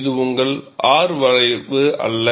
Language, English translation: Tamil, This is not your R curve